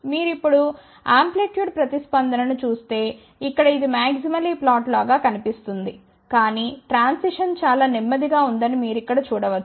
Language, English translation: Telugu, But if you now look at the amplitude response so, here it looks like a maximally flat, but you can see here that the transition is very, very slow